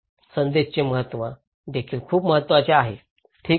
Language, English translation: Marathi, Importance of message is also very important, okay